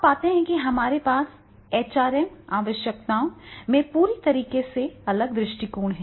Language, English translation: Hindi, So, in that case you will find that is the HRM requirements will be totally different